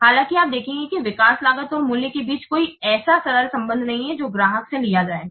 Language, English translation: Hindi, So, however, you will observe that there is no such simple relationship between the development cost and the price that will be charged to the customer